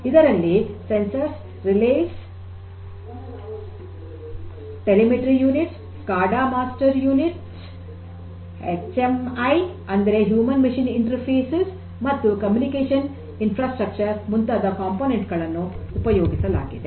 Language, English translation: Kannada, Sensors, Relays, Telemetry Units, SCADA master units, HMIs that means, the Human Machine Interfaces and the Communication Infrastructure